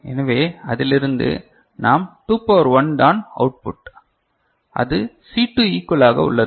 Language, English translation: Tamil, So, from that we can write 2 to the power 1 is output is equal to C2 just like that ok